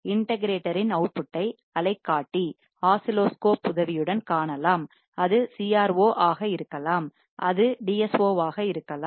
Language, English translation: Tamil, And the output of the integrator can be seen with the help of oscilloscope it can be CRO it can be DSO